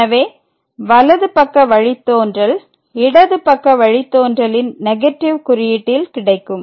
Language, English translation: Tamil, So, the right side derivative of this function is 3 where as the left hand derivative